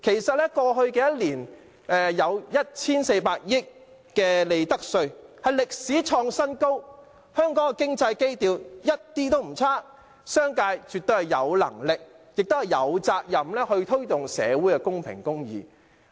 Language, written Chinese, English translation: Cantonese, 在過去一年，有 1,400 億元利得稅，創歷史新高，香港的經濟基調一點也不差，商界絕對有能力和責任推動社會公平和公義。, In the past year profits tax amounted to a record high of 140 billion . The economic fundamentals of Hong Kong are not bad by any standard . The business sector absolutely has the means and responsibility to promote fairness and justice in society